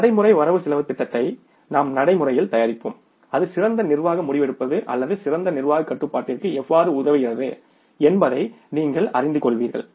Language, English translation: Tamil, We will practically prepare the practical budget then you will come to know that how it facilitates better management decision making or the better management control